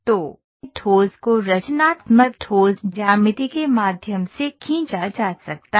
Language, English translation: Hindi, So, this is how it is that, the solid can be drawn through constructive solid geometry